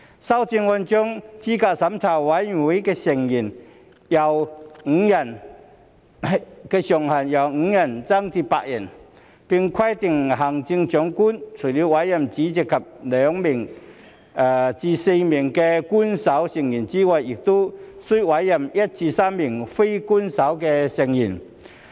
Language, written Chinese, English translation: Cantonese, 修正案將資審會成員人數上限由5人增至8人，並規定行政長官除了委任主席及2名至4名官守成員外，亦須委任1名至3名非官守成員。, The amendment seeks to increase the upper limit of CERC members from five to eight and stipulates that the Chief Executive shall appoint not only the chairperson and two to four official members but also one to three non - official members